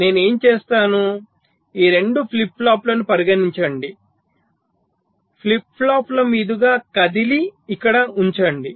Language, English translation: Telugu, suppose what i do: these two flip flops, so move across flip flops and place it here